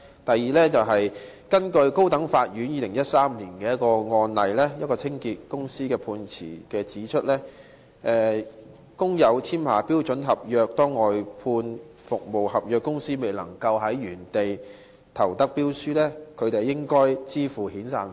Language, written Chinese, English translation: Cantonese, 第二，高等法院在2013年一宗涉及一間清潔公司的案件的判詞中指出，如工友簽下標準僱傭合約，當外判商未能在原來的地方中標時，他們應向工友支付遣散費。, Second in the judgment of a case involving a cleaning company in 2013 the High Court pointed out that for workers who have signed a SEC the outsourced contractor should pay SP to these workers when it lost its bid for the tender for providing services at the original venue of work